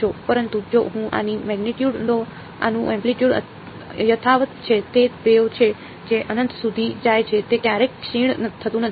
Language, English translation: Gujarati, But, if I plot the magnitude of this the amplitude of this is unchanged it is the wave that goes off to infinity it never decays